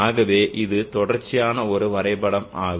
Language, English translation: Tamil, So this is a continuous plot